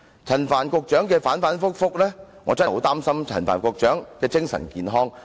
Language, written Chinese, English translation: Cantonese, 陳帆局長態度反反覆覆，我真的擔心他的精神健康。, Secretary Frank CHAN is fickle . I am really worried about his mental health